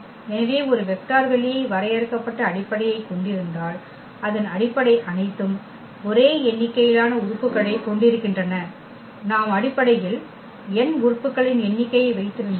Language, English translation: Tamil, So, if a vector space has finite basis then all of its basis have the same number of elements, that is another beautiful result that if we have the n number of elements in the basis